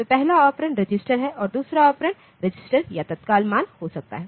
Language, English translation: Hindi, So, the first operand is register, and the second operand can be register or immediate